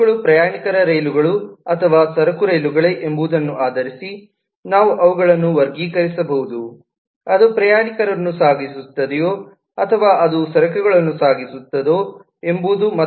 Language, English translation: Kannada, we can classify the trains based on whether they are passenger trains or goods train, that is, whether they just carry passenger or they just carry goods